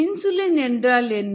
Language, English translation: Tamil, what is insulin